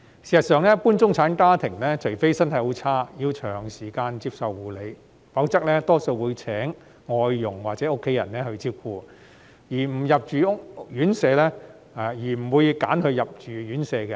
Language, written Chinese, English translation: Cantonese, 事實上，一般中產家庭的長者除非身體很差，要長時間接受護理，否則大多數會聘請外傭或由家人照顧，不會選擇入住院舍。, As a matter of fact most elderly persons in middle - class families are cared for by foreign domestic helpers or family members rather than staying in RCHs unless their health condition is so bad that they need prolonged nursing care